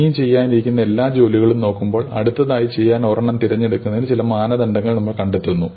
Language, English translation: Malayalam, Looking at all the jobs which are yet to be done, we find some criterion by which we choose one to do next